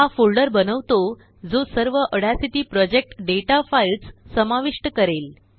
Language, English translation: Marathi, This creates a folder that will contain all the audacity project data files